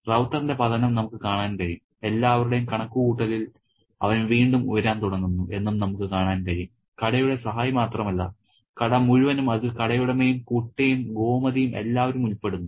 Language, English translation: Malayalam, So, we can see the, you know, the fall of Rauta and again we can see the point in which he starts to rise again in the estimation of not only the shop assistance but also the entire shop which includes the shop owner the boy, Gomuthy and everybody